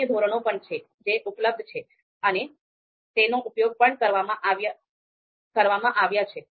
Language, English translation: Gujarati, So there are other scales also which are available which have been used also